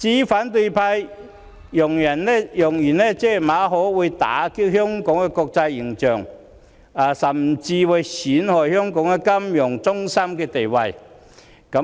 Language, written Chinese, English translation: Cantonese, 反對派揚言，馬凱事件會打擊香港的國際形象，甚至會損害香港國際金融中心的地位。, The opposition camp claims that the MALLET incident will tarnish Hong Kongs international image and even impair the status of Hong Kong as an international financial centre